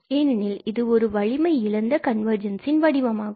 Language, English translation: Tamil, Because this is a weaker version of the convergence